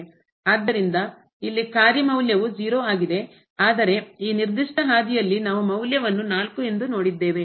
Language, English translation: Kannada, So, here the function value is 0, but along this particular path we have seen the value is 4